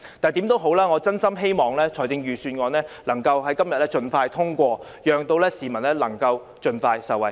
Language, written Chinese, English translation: Cantonese, 無論如何，我真心希望預算案能在今天盡快通過，讓市民能夠盡快受惠。, In any case I sincerely hope that the Budget will be passed expeditiously today so that the public can benefit